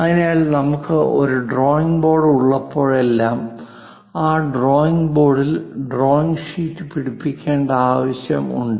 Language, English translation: Malayalam, So, whenever we have a drawing board, to hold this is the board ; we will like to hold the drawing sheet on that drawing board, this is the paper